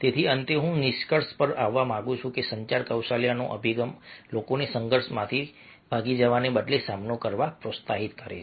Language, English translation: Gujarati, so finally, i would like to conclude that the communication skills approach encourages people to face rather than to flee from conflict